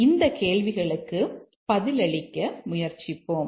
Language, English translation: Tamil, Let's try to answer those questions